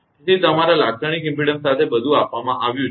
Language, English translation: Gujarati, So, with your characteristic impedance everything is given